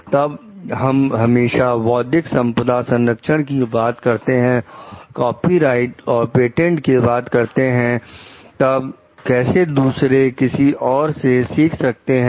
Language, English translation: Hindi, Then like if we are talking always of talking of like: intellectual property protections, copyrights and patents, then how others can then how others can learn